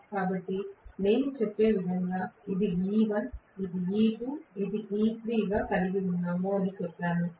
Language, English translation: Telugu, So, I am going to have this as let us say E1 maybe, this is E2, this is E3